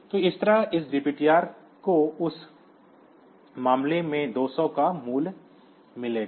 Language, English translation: Hindi, So, that way this DPTR will get the value 200 in that case